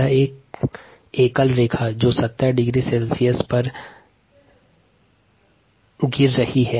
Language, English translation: Hindi, ok, so it is going to be a single line that's dropping at seventy degree c